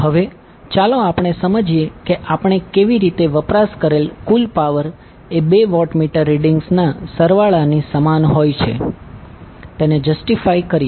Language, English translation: Gujarati, Now, let us understand how we can justify the total power consumed is equal to the sum of the two watt meter readings